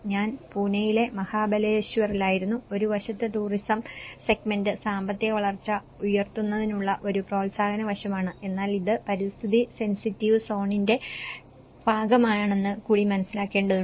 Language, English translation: Malayalam, I was in Mahabaleshwar in Pune and on one side the tourism segment is been a promotive aspect to raise economic growth but one has to understand it is also part of the eco sensitive zone